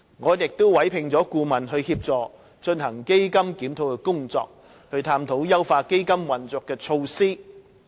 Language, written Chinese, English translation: Cantonese, 我們已委聘顧問協助進行檢討基金的工作，探討優化基金運作的措施。, A consultant has been commissioned to assist in the review of CEF and explore measures to enhance the operation of CEF